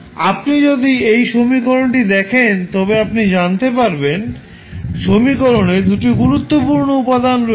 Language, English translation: Bengali, Now, if you see this particular equation you will come to know there are 2 important components in the equation